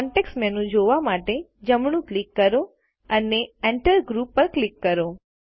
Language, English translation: Gujarati, Right click to view the context menu and click on Enter Group